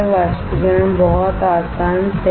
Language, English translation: Hindi, Evaporation very easy right